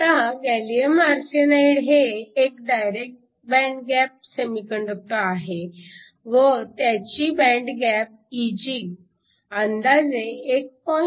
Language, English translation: Marathi, Now, gallium arsenide is a direct band gap semiconductor with an e g of 1